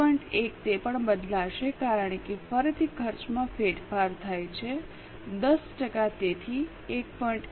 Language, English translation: Gujarati, It will also change because of change of cost again 10 percent